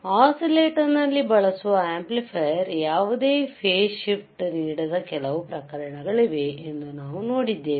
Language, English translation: Kannada, Then we have seen that there are some cases where your amplifier that we use in the oscillator will not give you any phase shift